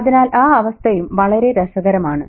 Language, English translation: Malayalam, So that state is also very interesting